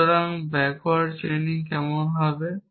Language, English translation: Bengali, So, what would backward chaining be like